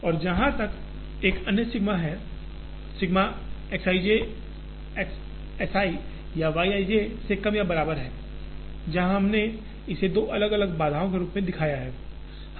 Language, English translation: Hindi, And as far as the other one, sigma X i j is less than or equal to S i and Y i j, where we have shown it as two different constraints